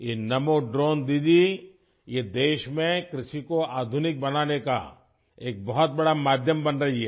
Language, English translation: Hindi, This Namo Drone Didi is becoming a great means to modernize agriculture in the country